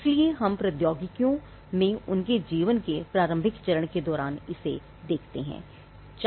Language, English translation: Hindi, So, we see this in all technologies during the early stage of their life